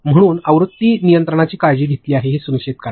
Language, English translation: Marathi, So, make sure that version control is taken care of